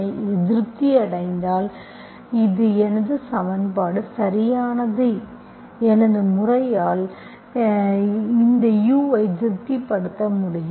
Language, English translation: Tamil, If this is satisfied, my equation is exact, that method will be able to find my u satisfying this